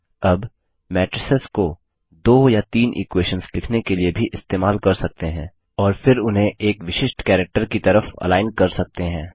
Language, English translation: Hindi, Now, we can also use matrices to write two or three equations and then align them on a particular character